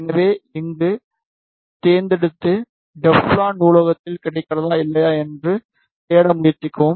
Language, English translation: Tamil, So, select here and then try to search whether Teflon is available in the library or not